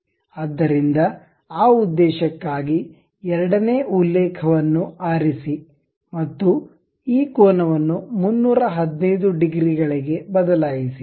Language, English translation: Kannada, So, for that purpose, pick second reference and change this angle to something 315 degrees